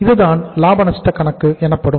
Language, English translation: Tamil, So this is the profit and loss account